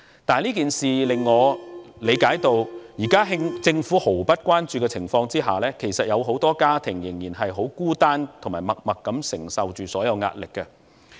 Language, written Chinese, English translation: Cantonese, 但這件事令我理解到，目前在政府毫不關注的情況下，有很多家庭仍然很孤單，以及默默承受着所有的壓力。, I learn from this case that owing to the indifference of the Government many families are still very lonely and have to tacitly bear all the pressure